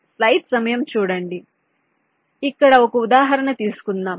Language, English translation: Telugu, ok, so lets take an example here